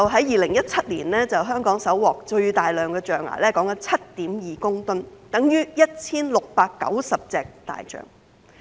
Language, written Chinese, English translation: Cantonese, 2017年香港搜獲最大批象牙共 7.2 公噸，相等於 1,690 隻大象。, In 2017 the largest seizure of 7.2 tonnes of ivory equivalent to 1 690 elephants was made in Hong Kong